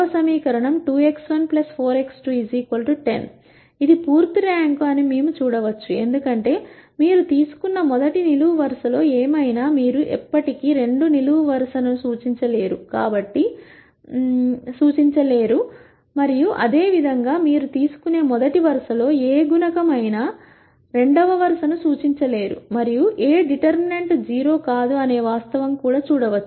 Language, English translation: Telugu, We can see that this is full rank, because whatever multiple of the first column you take, you can never represent the second column and similarly whatever multiple of the first row you take you can never represent the second row, and this can also be seen from the fact that the determinant of A is not 0